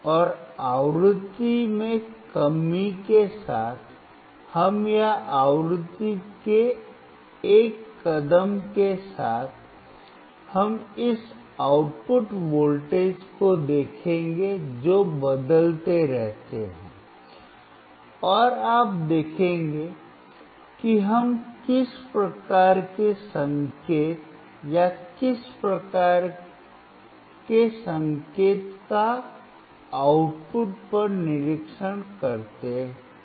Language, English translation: Hindi, And with each decrease of frequency, we will or a step of frequency, we will see this output voltage which keeps changing, and you will see what kind of signal or what kind of the shape of signal we observe at the output